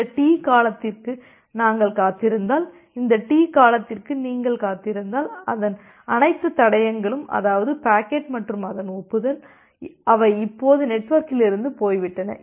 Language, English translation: Tamil, And we make it sure that if we wait for this T duration, then if you wait for this T duration then, you can be sure that all traces of it, that means, the packet and also its acknowledgement, they are now gone from the network